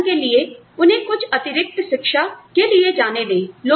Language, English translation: Hindi, For example, let them go, and get some extra education